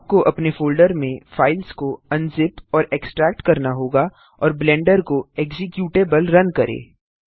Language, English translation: Hindi, You would need to unzip and extract the files to a folder of your choice and run the Blender executable